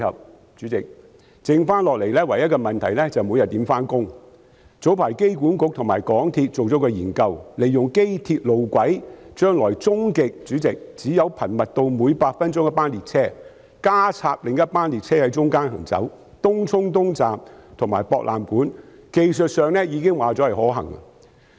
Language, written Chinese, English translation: Cantonese, 代理主席，早前香港機場管理局及港鐵公司進行了一項研究，利用機鐵路軌，將來終極可頻密至每8分鐘一班列車，再加插另一班列車在其間行走東涌東站至博覽館站，已知在技術上是可行的。, Deputy President earlier on the Airport Authority Hong Kong AA and MTRCL conducted a study on utilizing the tracks of the Airport Railway to ultimately increase the frequency of trains to eight minutes and deploy a train to run during the interval between the TCE Station and the AWE Station . It is already known that this arrangement is technically feasible